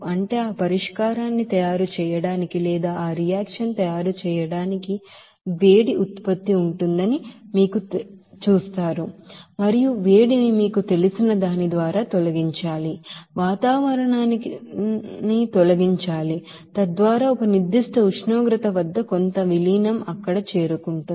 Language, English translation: Telugu, That is for making that solution, you will see there will be a heat generation and that heat should be removed by that you know, to the removed to the atmosphere so that certain dilution at a certain temperature it would be reached there